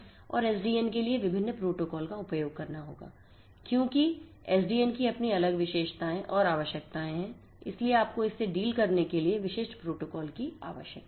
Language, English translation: Hindi, And the different protocols that will have to be used in order to deal with you know with SDN because SDN has its own different characteristics features and requirements so, you need to have specific protocols to deal with it